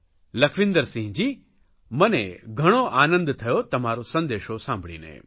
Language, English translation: Gujarati, Lakhwinder Singh ji, 'I am happy to hear your message